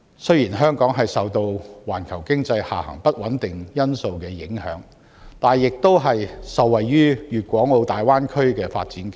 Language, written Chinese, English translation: Cantonese, 雖然香港受到環球經濟下行的不穩定因素影響，但亦受惠於粵港澳大灣區的發展機遇。, Amid global economic uncertainties Hong Kong can however benefit from the development of the Guangdong - Hong Kong - Macao Greater Bay Area